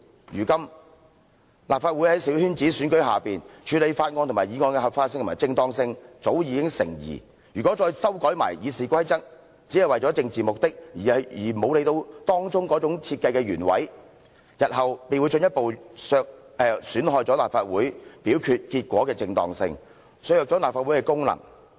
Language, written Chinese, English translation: Cantonese, 如今，立法會在小圈子選舉之下，處理法案及議案的合法性及正當性早已成疑，如果再修改《議事規則》，只是為了政治目的，而沒有理會當中的設計原委，日後便會進一步損害了立法會表決結果的正當性，削弱了立法會的功能。, At present the legality and propriety of handling bills and motions in LegCo with its seats returned through coterie elections have already come under question . If RoP is further amended out of mere political intentions without any regard for the original intent of its design the propriety of LegCos voting results will be further hindered and its functions will be undermined in the future